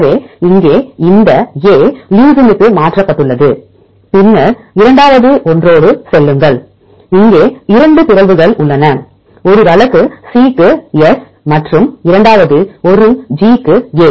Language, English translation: Tamil, So, here we have this A is mutated to leucine then go with the second one here we have two mutations one case C to S and the second one G to A